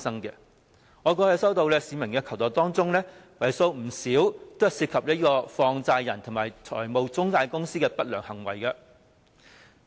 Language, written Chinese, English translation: Cantonese, 在我過去接獲市民的求助個案當中，為數不少都涉及放債人和中介公司的不良行為。, Among the cases received by me in which members of the public requested assistance quite a large number was about unscrupulous practices of money lenders and intermediaries